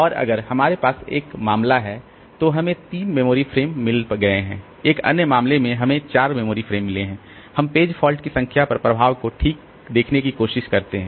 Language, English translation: Hindi, And if we have in one case we have got 3 memory frames, in another case we have got 4 memory frames and we try to see the effect on the number of page faults